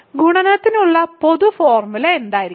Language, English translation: Malayalam, So, what would be the general formula for multiplication